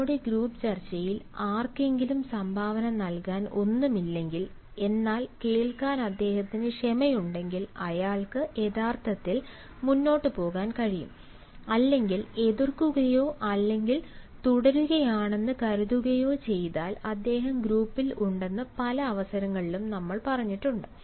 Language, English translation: Malayalam, on many occasions we have said that if somebody does not have anything to contribute to our group discussion but then if he has a patience to listen, he can actually carry forward or he can, by opposing or by supporting, continue he is being in the group discussion